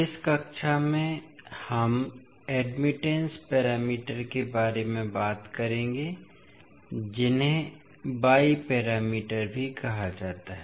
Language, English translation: Hindi, So in this class we will talk about admittance parameters which are also called as Y parameters